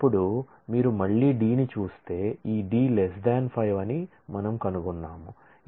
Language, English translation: Telugu, Then you again look at D we find that this D is less than 5